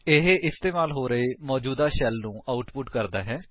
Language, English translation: Punjabi, This outputs the present shell being used